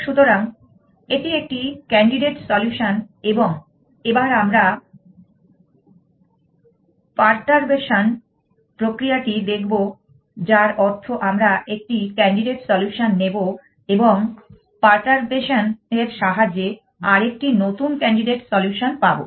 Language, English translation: Bengali, So, this is a candidate solution and we will look at a process of perturbation which means we will take a candidate solution and perturbation to give us a new candidate solution